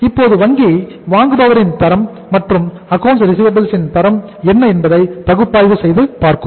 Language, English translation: Tamil, Now the bank will analyze and see the quality of that buyer or the quality of those accounts receivables, what is the quality of those accounts receivable